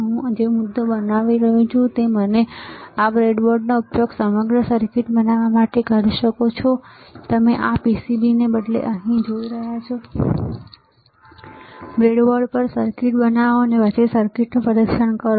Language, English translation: Gujarati, The point that I am making is that you can use this breadboard to create entire circuit, which you are looking at here instead of this PCB, create the circuit on the breadboard, and then test the circuit